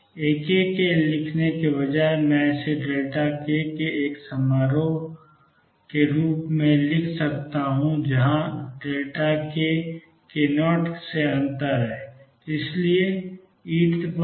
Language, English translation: Hindi, Instead of writing A k I can write this as a function of a delta k, where delta k is difference from k 0